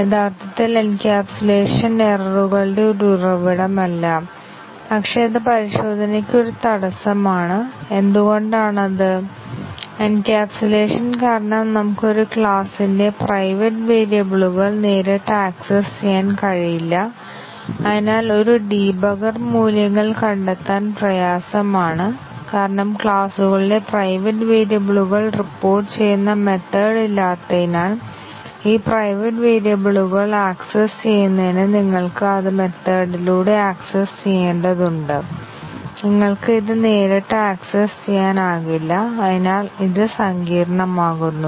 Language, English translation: Malayalam, Actually encapsulation is not a source of errors, but then it is an obstacle to testing, why is it because due to encapsulation, we cannot directly access the private variables of a class and therefore, a debugger it would become difficult to find the values of private variables of classes because there are no methods which will report and for the accessing this private variables you need to access it through methods, you cannot directly access it and therefore, it is becomes complicated